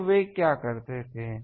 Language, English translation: Hindi, So, what they used to do